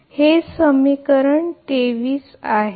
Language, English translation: Marathi, So, this is actually equation 27, right